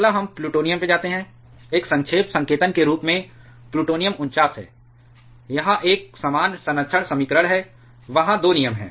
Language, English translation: Hindi, Next, we move to plutonium, plutonium as a shorthand notation is 49, this is a corresponding conservation equation ,there are 2 terms